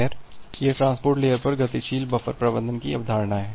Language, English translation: Hindi, Well so, this is the concept of dynamic buffer management at the transport layer